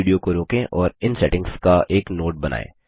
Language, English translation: Hindi, Pause this video and make a note of these settings